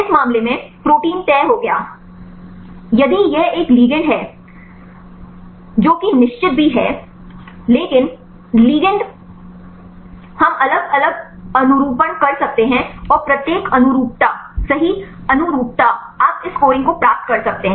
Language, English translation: Hindi, In this case protein is fixed; if it is one ligand that is also fixed, but ligand we can make different conformations and each conformation right conformation you can get this scoring